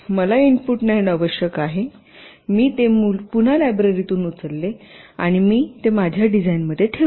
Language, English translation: Marathi, i need for input nand, i again pick up from the library, i put it in my design